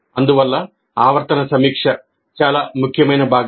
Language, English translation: Telugu, Thus, the periodic review is an extremely important component